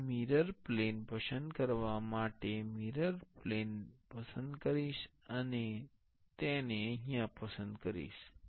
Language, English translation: Gujarati, I will select the mirror plane to select the mirror plane, and I will select it